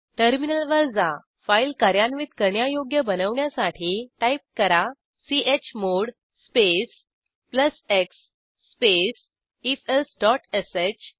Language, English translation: Marathi, Come back to our terminal, make the file executable type: chmod space plus x space ifelse.sh .Press Enter